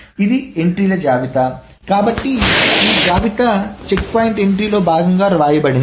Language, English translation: Telugu, So this list is written as part of the checkpoint entry